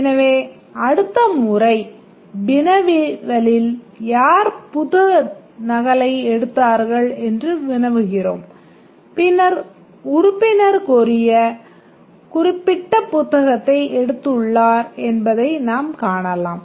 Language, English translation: Tamil, So, next time we query that who has taken the book copy, then we can find that the member has taken, the specific member who was requesting has taken the book